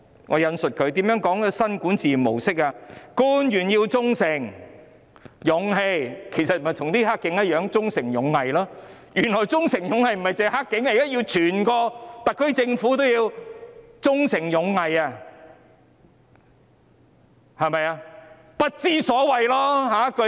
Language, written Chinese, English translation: Cantonese, 我引述如下："官員要忠誠、有勇氣"——其實和"黑警"的"忠誠勇毅"一樣，原來"忠誠勇毅"的不僅是"黑警"，現在整個特區政府都要"忠誠勇毅"，對嗎？, Let me quote Officials must be loyal and courageous―the same as Honour Duty and Loyalty on the part of dirty cops . It turns out that not only are dirty cops serving with Honour Duty and Loyalty but the entire SAR Government must also be serving with Honour Duty and Loyalty right? . The following line should be All are Nonsense